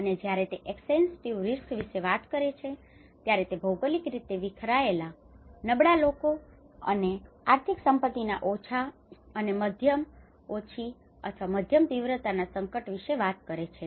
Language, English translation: Gujarati, Whereas the extensive risk, when he talks about the extensive risk, he talks about the geographically dispersed exposure of vulnerable people and economic assets to low or moderate intensity hazard